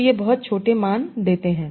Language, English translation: Hindi, So this gave much smaller value